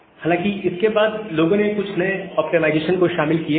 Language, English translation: Hindi, And after that, people have incorporated few other optimizations